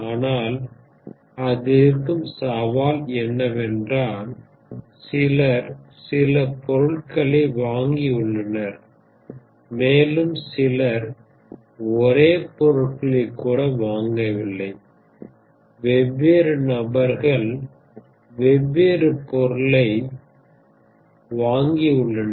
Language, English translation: Tamil, The challenge is because few people have bought few items and it is not even that few people have bought the same items, different people have bought a different item